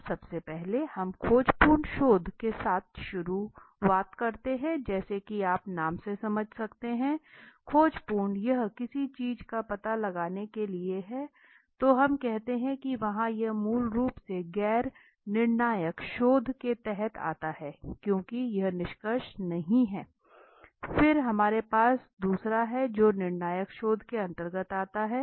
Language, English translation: Hindi, Now first is we start with an exploratory research right as you can understand from the name exploratory it raise to explore something then we say there is there are this is a basically comes under the non conclusive research because there is not conclusion here right then we have another which comes under the conclusive research